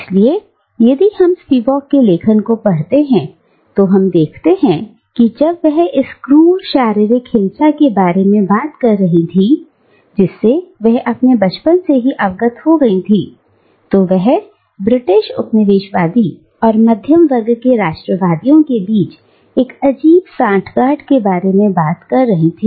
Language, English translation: Hindi, So, if we read Spivak's writing, we will see that when she is talking about this brute physical violence, to which she was exposed as a child, she is talking about a strange nexus between the British colonialist and the middle class nationalists